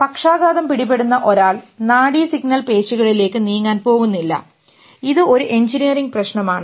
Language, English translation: Malayalam, A person who gets paralysis and the nerve signal are not going to the muscles to move